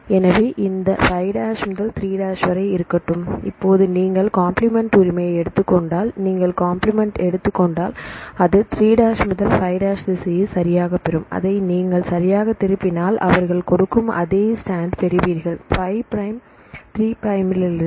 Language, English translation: Tamil, So, let me have this 5’ to 3’, now if you take the complementary right then if you take the complementary then it will get the 3’ to 5’ direction right and you reverse it right then you get the same strand they give from the 5 prime 3 prime